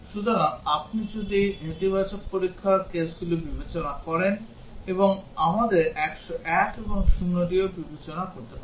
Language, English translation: Bengali, So, if you consider negative test cases and we will have to also consider 101 and 0